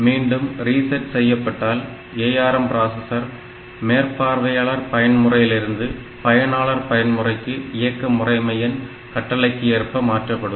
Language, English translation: Tamil, On reset ARM will enter into this supervisor mode and then it will be going to user mode depending upon the operating system control